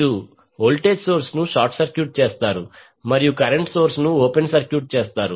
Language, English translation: Telugu, You will short circuit the voltage source, and open circuit the current source